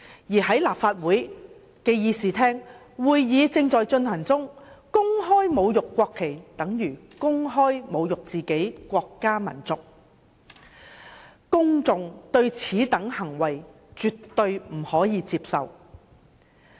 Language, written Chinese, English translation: Cantonese, 而在立法會的議事廳進行會議時公開侮辱國旗，等於公開侮辱自己的國家民族，公眾絕對不能接受此等行為。, Publicly insulting the national flag in the Chamber at a Legislative Council meeting is equivalent to publicly insulting ones country and race which is absolutely inacceptable to the public